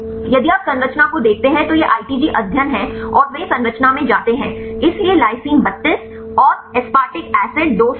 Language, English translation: Hindi, If you look into the structure now this is the ITG studies and they go to the structure, so lysine a 32 and the aspartic acid 238